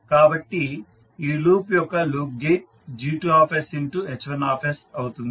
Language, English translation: Telugu, So the loop gain of this loop will be G2s into H1s